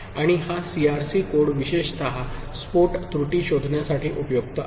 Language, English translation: Marathi, And this CRC code is especially useful for detecting burst error